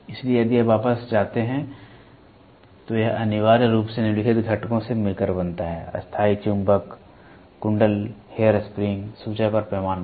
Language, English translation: Hindi, So, if you go back, it essentially consist of the following components; permanent magnet, coil, hair spring, pointer and scale